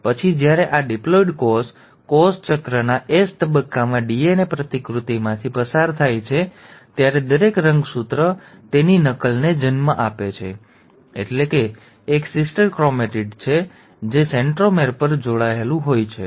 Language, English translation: Gujarati, And then when this diploid cell undergoes DNA replication at the S phase of cell cycle, each of the chromosome will then give rise to its copy, that is a sister chromatid, it has attached at the centromere